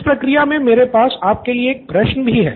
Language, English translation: Hindi, So in this process I have a question for you